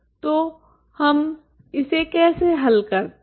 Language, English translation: Hindi, So how do we solve this